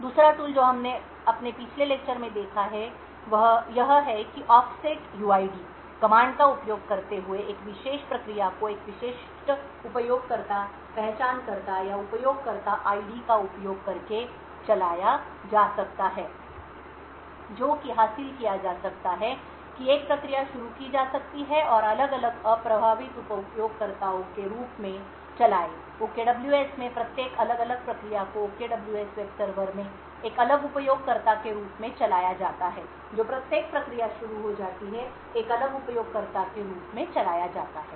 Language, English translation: Hindi, The second tool what we have seen in our previous lecture as well is that off setuid, using the setuid command, a particular process can be run using a specific user identifier or user ID using this what can be achieved is that a processes can be started and run as different unprivileged users, in OKWS each of the different processes are run as a different user in the OKWS web server each of the different process that gets started is run as a different user